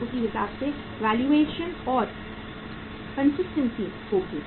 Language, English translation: Hindi, So accordingly the valuation will be done and consistency